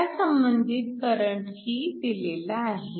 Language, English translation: Marathi, So, the corresponding current is also given